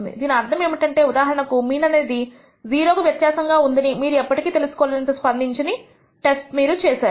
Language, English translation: Telugu, Which means you are be a very insensitive test you will never be able to find whether your mean is different from 0 for example